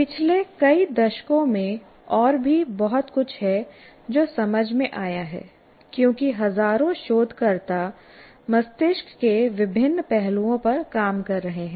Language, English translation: Hindi, In the last several decades, there is a lot more that has been understood because thousands and thousands of researchers are working on various facets of the brain